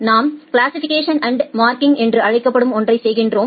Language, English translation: Tamil, Then we do something called a classification and marking